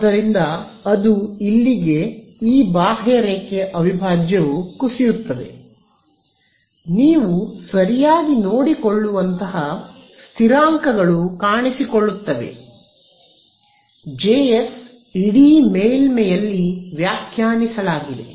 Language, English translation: Kannada, So, that will collapse this contour integral over here in to I, there are this constants that will appear which you can take care right; jss defined over the entire surface so, all that is there